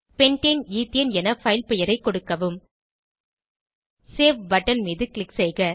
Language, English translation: Tamil, Enter file name as Pentane ethane click on Save button